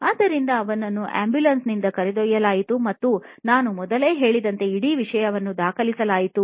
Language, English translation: Kannada, So, he was wheeled in from an ambulance and the whole thing was being recorded as I told you earlier